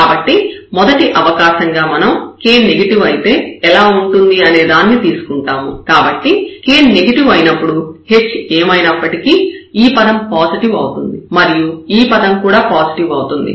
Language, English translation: Telugu, So, first possibility we will take that if this k is negative for example, So, if k is negative irrespective of whatever our h is, so as long as this k is negative, this term will be positive here minus k term, here also minus k term will be positive